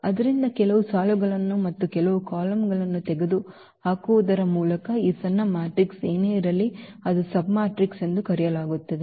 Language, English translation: Kannada, So, whatever this smaller matrix by removing some rows and some columns, that is called the submatrix